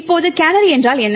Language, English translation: Tamil, Now what is a canary